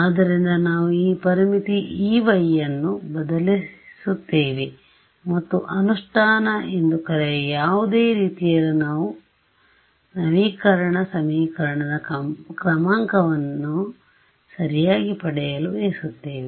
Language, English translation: Kannada, So, this is what we will substitute for E y into this boundary condition and in any sort of what you call implementation we want to get an update equation order right